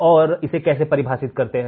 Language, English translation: Hindi, and how it is defined